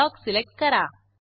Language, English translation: Marathi, Let us select Block